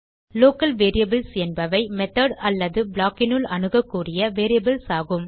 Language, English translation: Tamil, Local variables are variables that are accessible within the method or block